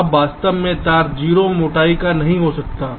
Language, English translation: Hindi, now, actually, a wire cannot be of zero thickness